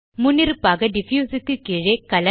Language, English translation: Tamil, By default, Color under Diffuse is enabled